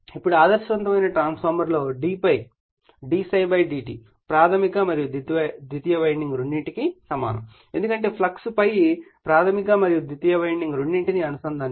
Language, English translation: Telugu, Now, in an ideal transformer d∅ d psi /dt is same for both primary and secondary winding because the flux ∅ linking both primary and secondary winding